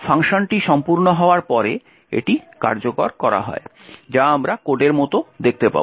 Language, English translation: Bengali, Therefore, after the function gets completes its execution which we will see as in the code